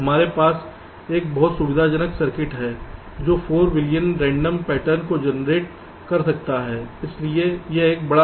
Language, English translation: Hindi, we have a very convenient circuit which can generate four billion random patterns